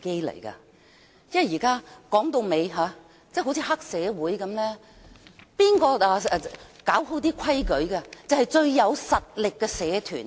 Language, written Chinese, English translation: Cantonese, 說到底，現況就好像黑社會一般，誰有權處理規矩的，就是最有實力的社團。, After all the current situation is actually like that of a triad society whosoever empowered to handle the rules is the most powerful gang